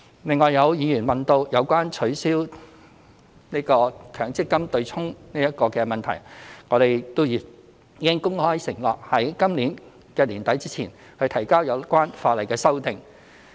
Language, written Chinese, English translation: Cantonese, 另外有議員問及取消強制性公積金"對沖"的問題，我們已公開承諾在今年年底前提交有關法例的修訂。, In addition some Members enquired about the abolition of the Mandatory Provident Fund offsetting mechanism . We have made a commitment publicly that we will submit the relevant legislative amendments by the end of this year